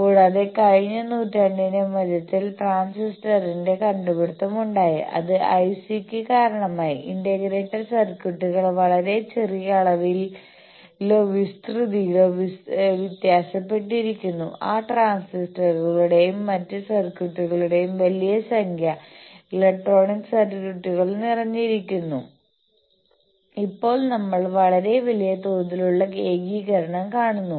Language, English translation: Malayalam, Also in the middle of the century last century there was invention of transistor and that gave rise to IC; integrated circuits varies in a very small volume or area large number of those transistors and other circuitries, electronic circuitries are packed and now we are seeing the very large scale integration